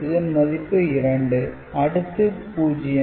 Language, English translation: Tamil, So, that gives you 0 1 2 3